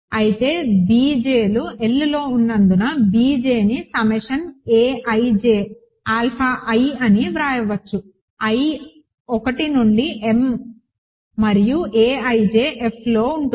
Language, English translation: Telugu, But that because b j’s are in L, b j can be written as summation a ij alpha I, i equal to 1 to m and a ij in F